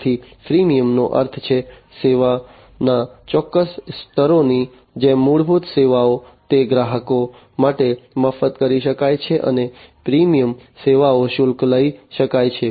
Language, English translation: Gujarati, So, freemium means, like you know the certain levels of service the basic services, they can be made free to the customers and the premium services can be charged